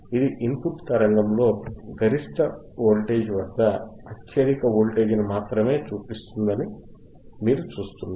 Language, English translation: Telugu, You see it is only showing the highest voltage at a peak voltage in the input signal, peak voltage in the input signal